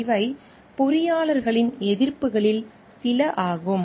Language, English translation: Tamil, These are some of the expectations from engineers